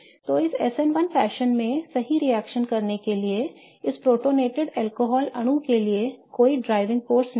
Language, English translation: Hindi, So, there is no driving force for this protonated alcohol molecule to react in an SN1 fashion, right